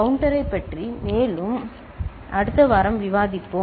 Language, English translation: Tamil, More about counter we shall discuss next week